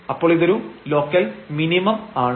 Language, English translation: Malayalam, So, this is a local minimum